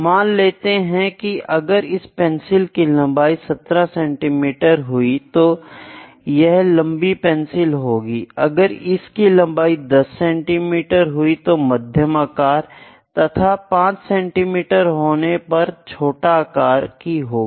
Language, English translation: Hindi, Let me say the height of the pencil if it is 17 centimetres, it is long, then 10 centimetres is medium, 5 centimetres is small